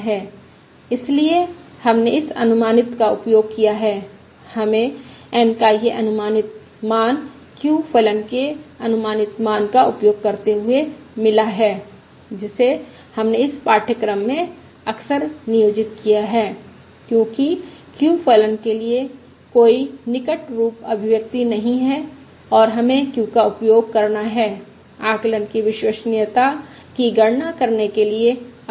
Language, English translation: Hindi, So we have used this approximate, we have got this approximate value of N using the approximation for the q function, which we have also employed frequently in this course, because there is no close form expression for the q function and we will have to use the q function quite frequently to calculate the reliability of the estimate